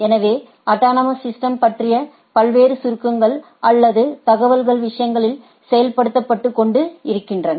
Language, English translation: Tamil, So, there are different summarization or information about the about the autonomous systems are being pumped into the things